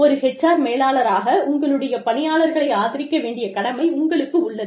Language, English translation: Tamil, As an HR manager, it is your responsibility, to support the employees